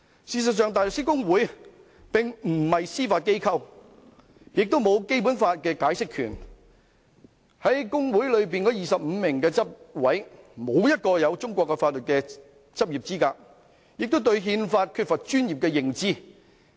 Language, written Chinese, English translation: Cantonese, 事實上，香港大律師公會並非司法機構，亦沒有對《基本法》的解釋權，而在公會內的25名執委中，無人具備中國法律執業資格，亦對《憲法》缺乏專業認知。, In fact HKBA is not the Judiciary nor is it vested with the power of interpretation of the Basic Law . And none of the 25 members of the executive committee of HKBA possesses the qualifications for legal practice in China and they also lack professional knowledge of the Constitution